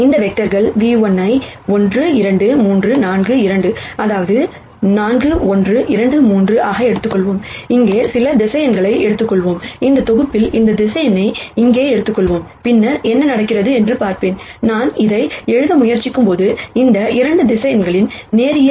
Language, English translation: Tamil, Let us take this vectors v 1 which is 1 2 3 4 v 2 which is 4 1 2 3 and let us take some vector here, in this set let us take this vector here, and then see what happens, when I try to write it as a linear combination of these 2 vectors